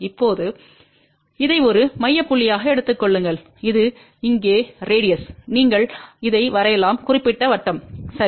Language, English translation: Tamil, Now, take this as a center point and this as here radius you draw this particular circle, ok